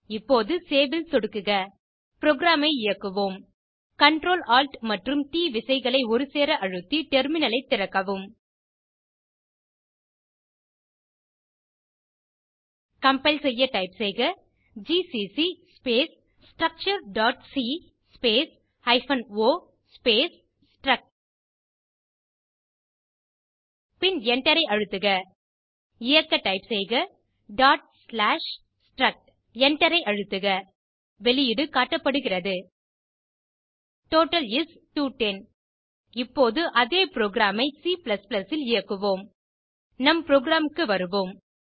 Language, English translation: Tamil, Here delete the closing bracket and type two opening angle brackets And within the double quotes type \n Now click on Save Let us execute the program Come back to our terminal To compile type g++ space structure.cpp space hyphen o space struct1 Here we have struct1 because we dont want to overwrite the output parameters struct for the file structure.c Now press Enter To execute type ./struct1 Press Enter The output is displayed as: Total is 210 You can see that the output is same as our C code Now let us go back to our slides